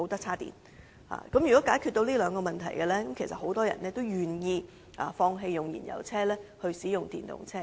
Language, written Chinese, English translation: Cantonese, 所以，政府若能解決上述兩個問題，相信很多人也願意放棄使用燃油車，轉用電動車。, So if the Government can address these two issues I believe many people are willing to give up their fuel - engined vehicles and switch to EVs